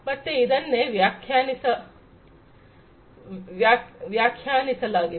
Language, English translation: Kannada, So, that is what is defined